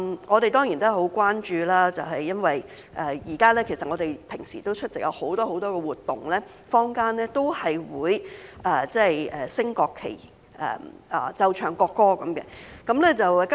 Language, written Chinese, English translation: Cantonese, 我們當然很關注，因為現在我們日常出席很多活動時，坊間也會升掛國旗和奏唱國歌。, This is certainly a great concern to us because it is currently commonplace in the community that the national flag is raised and displayed and the national anthem is played and sung at the events that we attend